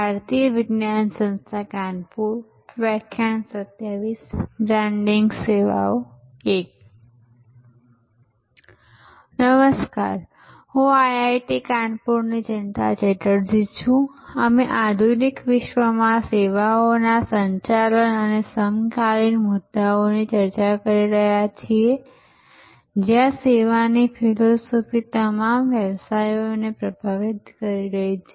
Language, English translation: Gujarati, Hello, I am Jayanta Chatterjee from IIT Kanpur, we are discussing managing services and the contemporary issues in the modern world, where the service philosophy is influencing all businesses